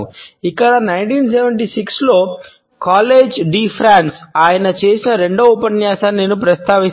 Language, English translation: Telugu, Here, I would refer to his second lecture which he had delivered in College de France in 1976